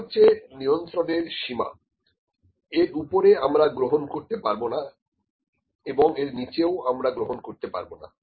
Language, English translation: Bengali, This is the control limit above this value we cannot accept, below this value we cannot accept